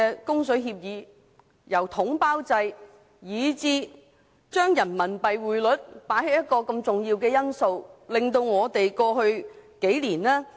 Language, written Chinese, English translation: Cantonese, 供水協議下統包制以人民幣結算，匯率因素過於重要。, Under the package deal Agreement RMB is the settlement currency resulting in excessive emphasis on exchange rates